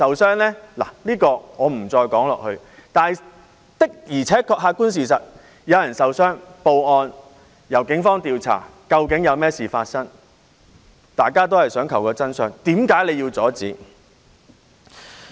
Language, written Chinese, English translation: Cantonese, 這一點我不再說下去，但的而且確，客觀事實是有人受傷，然後報案，由警方調查究竟發生甚麼事，大家都是想尋求真相，為何要阻止？, I do not intend to go deeper on this but the objective fact is that some people have got injured . The case was then reported to the Police who would investigate to see what had happened . We all hope to find out the truth and why should we pose hindrance?